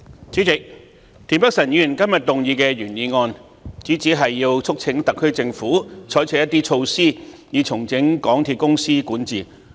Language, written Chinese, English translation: Cantonese, 主席，田北辰議員動議的原議案，主旨是促請特區政府採取一些措施以重整香港鐵路有限公司的管治。, President the original motion moved by Mr Michael TIEN seeks to urge the SAR Government to adopt some measures to restructure the governance of the MTR Corporation Limited MTRCL